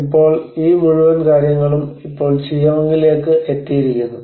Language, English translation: Malayalam, So now this whole thing has been now into the Chiang